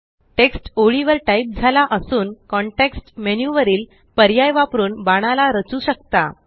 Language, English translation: Marathi, Text typed on lines and arrows can also be formatted using options from the context menu